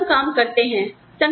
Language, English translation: Hindi, People do the bare minimum required